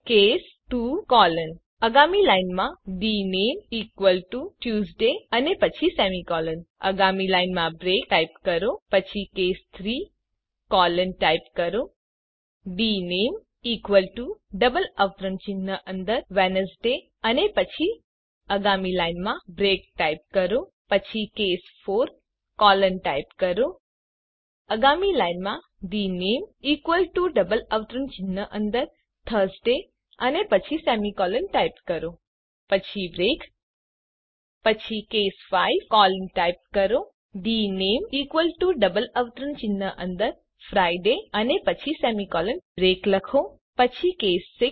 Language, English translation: Gujarati, Next line type case 1 colon next line dName equal to within double quotes Monday semicolon Next line type break Then type case 2 colon Next line dName equal to Tuesday then semicolon Next line type break Then next line case 3 colon Next line type dName equal to within double quotes Wednesday then semicolon Next line type break Thencase 4 colon Next line dName equal to within double quotes Thursday then semicolon Thenbreak 00:03:32 00:03:24 Then next line typecase 5 colon dName equal to within double quotes Friday then semicolon Thenbreak Then case 6 colon Next line type dName equal to within double quotes Saturday then semicolon Then type break semicolon Then close the brackets